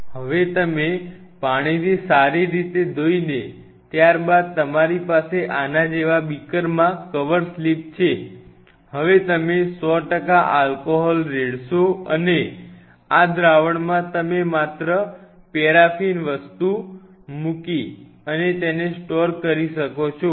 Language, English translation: Gujarati, Now, you are washing with water washing with water a thorough rinsing thoroughly with water followed by now you have the cover slips in a beaker like this, now you pour 100 percent alcohol and, in this solution, you just put a paraffin thing and you can store it